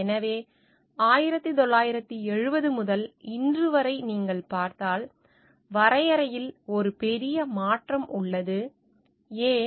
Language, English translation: Tamil, So, if you see like from 1970 to present day, there is a like massive shift in the definition so, why